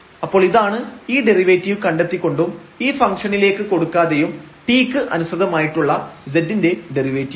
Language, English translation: Malayalam, So, this is the derivative of z with respect to t without substituting into this function and then getting the derivative